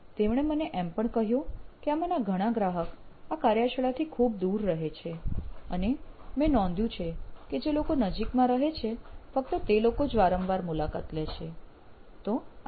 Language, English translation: Gujarati, He told me well, some of them live very far away from where I have my workshop and I noticed that only people who live close by, they visit me often